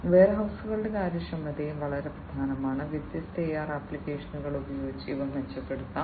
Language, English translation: Malayalam, The efficiency of warehouses is also very important and these can be improved using different AR applications